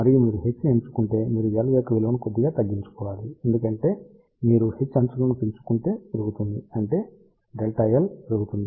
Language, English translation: Telugu, And, if you increase h remember you have to reduce the value of L slightly, why because if you increase h fringing fields will increase; that means, delta L will increase